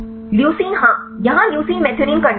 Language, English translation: Hindi, Leucine yeah, or leucine to methionine right